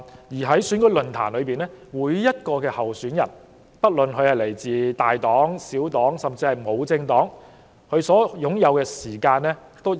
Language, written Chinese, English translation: Cantonese, 而在選舉論壇中，每名候選人，不論來自大黨、小黨還是獨立人士，都有均等的發言時間。, And during election forums each candidate will be entitled to the same amount of speaking time whether they are independent or affiliated to political parties of whatever scale